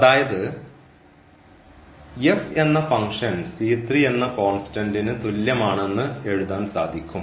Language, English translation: Malayalam, So, once we have f we can write down the solution as f is equal to constant